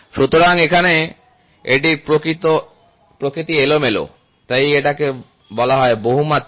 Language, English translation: Bengali, So, here we it is random in nature so, it is called as multidirectional